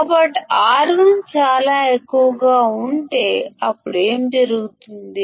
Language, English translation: Telugu, So, if R1 is extremely high; then what will happen